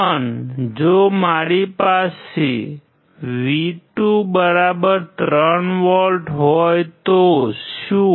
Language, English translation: Gujarati, But what if I have V2=3V